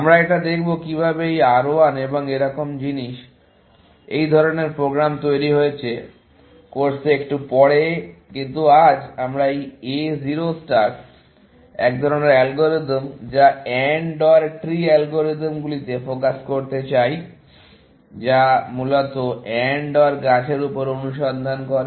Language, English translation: Bengali, We will look at this; how this R 1 and things like this; such programs have built, a little bit later in the course, but today, we want to focus on this A 0 star, kind of an algorithm, or AND OR tree algorithms, and which basically, search over AND OR trees